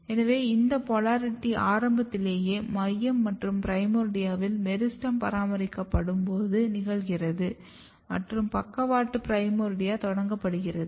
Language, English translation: Tamil, So, this polarity establishment occurs very early when meristem is getting maintained in the center and primordia and the lateral organ primordia is initiated